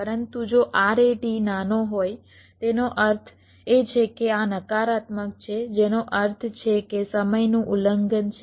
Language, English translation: Gujarati, but if rat is smaller, that means this is negative, which means there is the timing violation